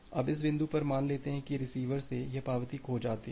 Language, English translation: Hindi, Now, at this point say assume this acknowledgement from receiver gets lost